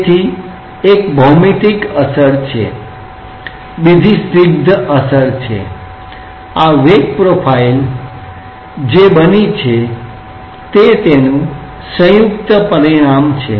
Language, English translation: Gujarati, So, one is the geometrical effect another is the viscous effect and this velocity profile is a combined consequence of what has taken place